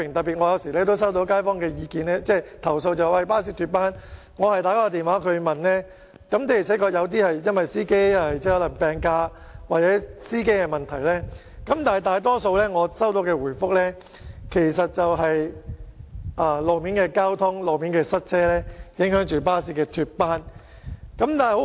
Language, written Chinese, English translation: Cantonese, 有時候，我也收到街坊投訴巴士脫班的個案，我也曾致電查詢，有些情況確是因為司機請病假或司機本身的問題所致，但在我收到的回覆中，大多數原因是路面交通情況或塞車令巴士脫班。, I had rung up the bus company to inquire about those cases . In some cases it was because the drivers concerned had taken sick leave or there were some problems with the drivers . Yet among the replies I received the causes of lost trips in most cases were attributed to traffic conditions or congestion